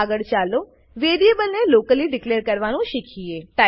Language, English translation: Gujarati, Next, let us learn how to declare a variable locally